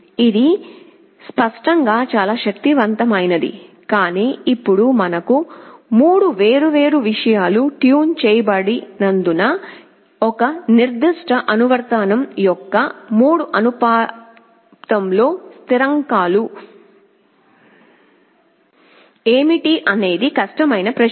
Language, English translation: Telugu, This is obviously most powerful, but now because we have 3 different things to tune, what will be the 3 constants of proportionality for a particular application is a difficult question